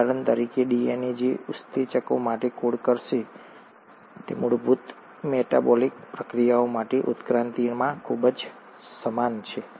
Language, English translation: Gujarati, For example, the DNA which will code for enzymes, for basic metabolic reactions are highly similar across evolution